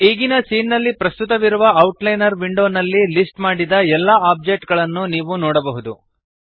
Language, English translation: Kannada, You can see all objects present in the current scene listed in the outliner window